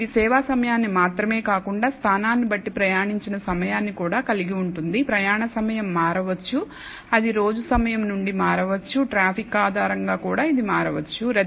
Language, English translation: Telugu, And this could involve not just the service time, but also travel time and depending on the location, the travel time could vary, it could vary from time of day, depending on the traffic, it could also vary because of congestion or a particular even that has happened